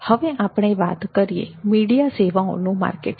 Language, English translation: Gujarati, next we come to telecom services marketing